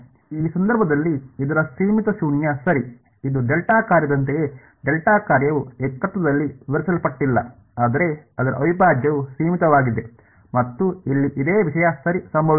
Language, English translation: Kannada, Its finite in this case its 0 right, it is just like a delta function the delta function is undefined at the singularity, but its integral is finite similar thing has happened over here ok